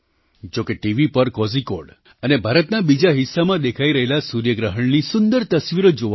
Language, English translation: Gujarati, Though, I did get to see beautiful pictures of the solar eclipse that was visible in Kozhikode and some other parts of India